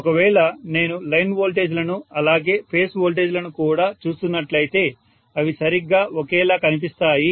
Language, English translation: Telugu, And you are also going to have basically you know if I look at line voltages as well as phase voltages they will look exactly the same